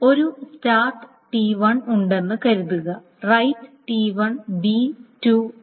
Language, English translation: Malayalam, Suppose there is a start T1, then there is a right T1 v2 3